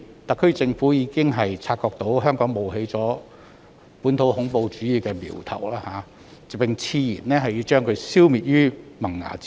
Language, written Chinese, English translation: Cantonese, 特區政府已察覺本地恐怖主義的苗頭在香港冒起，並矢言要將它消滅於萌芽階段。, The SAR Government has noticed an emerging sign of home - grown terrorism in Hong Kong and vowed to eliminate it at its formative stage